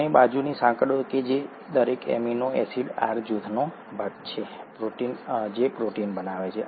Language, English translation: Gujarati, And the side chains that are part of each amino acid R group that constitute the protein